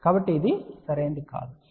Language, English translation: Telugu, So, which is not correct you have to use 20 log 0